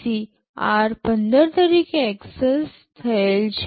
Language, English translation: Gujarati, PC is accessed as r15